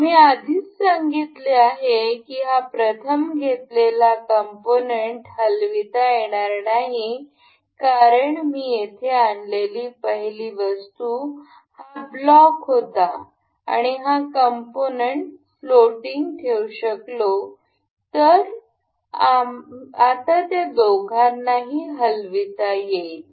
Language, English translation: Marathi, As we have, as I have already told you this part cannot be moved because on the first, the first item that I brought here was this block and this is fixed to make this float I can make this float